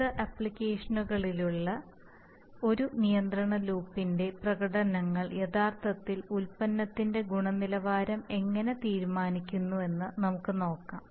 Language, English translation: Malayalam, So having said that, let us see that how the performances of a control loop in various applications can actually decide the product quality